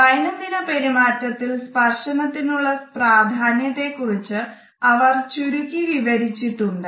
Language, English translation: Malayalam, She has summed up the significance of the tactual artifacts in our day to day behaviors